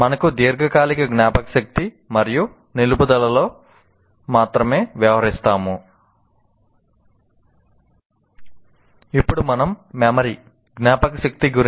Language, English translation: Telugu, We will only be dealing with formation of long term memory and retention